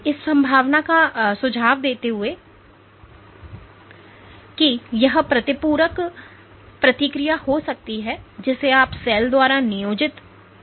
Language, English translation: Hindi, Suggesting the possibility that this is may be compensatory response you know employed by the cell